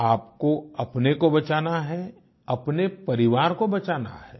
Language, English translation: Hindi, You have to protect yourself and your family